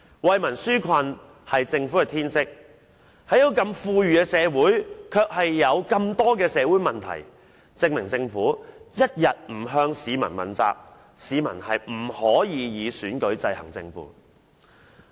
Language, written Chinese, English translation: Cantonese, 惠民紓困是政府的天職，但這個如此富裕的社會卻有這麼多社會問題，證明政府一天不向市民問責，市民便不能以選舉制衡政府。, The Government is duty - bound to relieve peoples hardship but there are so many social problems in this rich society of ours . It can thus be proved that as long as the Government does not hold itself accountable to the people the latter will not be able to exercise check and balance on the Government through elections